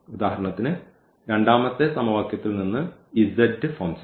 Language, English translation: Malayalam, So, for example, the z form this equation z plus 2 t is equal to 0